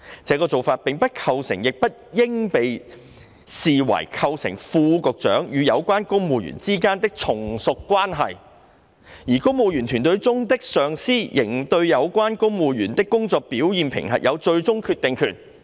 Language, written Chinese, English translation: Cantonese, 這個做法，並不構成亦不應被視為構成副局長與有關公務員之間有從屬關係，而公務員隊伍中的上司仍對有關公務員的工作表現評核有最終決定權。, Such solicitation of views does not constitute and should not be perceived as constituting a supervising or subordinating relationship between the under secretaries and civil servants concerned; and the supervisors in the Civil Service shall have the final say on the performance appraisals of the civil servants concerned